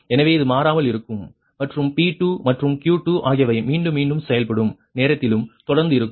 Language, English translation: Tamil, so this will remain constant and p two and q two also will remain constant throughout the iterative process, right